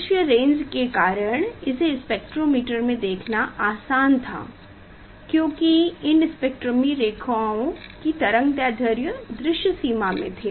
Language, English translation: Hindi, in spectrometer it was easy to see because of the visible range because the wavelength of this spectral lines was in the visible range